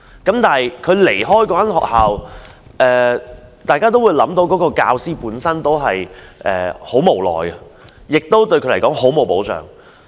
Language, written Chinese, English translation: Cantonese, 當他要離開那間學校，大家都會想到他感到很無奈，對他來說亦欠缺保障。, In the end he had to leave the school a place where he had taught for years . We can imagine how helpless he felt when he left the school and how insecure his position was